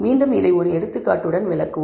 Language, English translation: Tamil, Again, we will illustrate this with an example